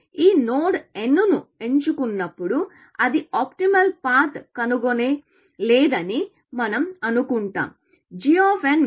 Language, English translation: Telugu, We will say that assume, that when it picks this node n, it has not found optimal path